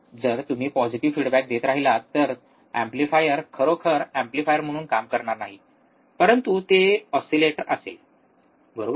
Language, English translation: Marathi, If you keep on applying positive feedback, the amplifier will not really work as an amplifier, but it will be an oscillator, right